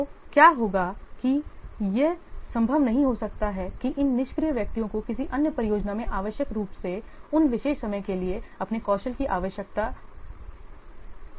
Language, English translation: Hindi, So, what will happen that it is, it may not be possible that these idle persons they will be required in another project requiring their skills for exactly those particular periods of time